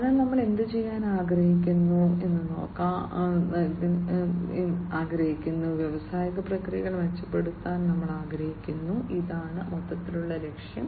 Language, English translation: Malayalam, So, we want to do what, we want to improve industrial processes this is the overall objective